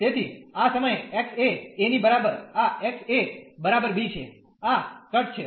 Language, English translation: Gujarati, So, at this from x is equal to a to this x is equal to b, this is the cut